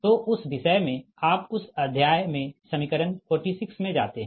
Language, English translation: Hindi, so in that topic you go to are in that chapter you go to equation forty six